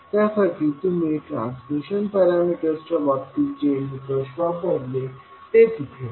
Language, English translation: Marathi, You will apply the same criteria which we did in the case of transmission parameters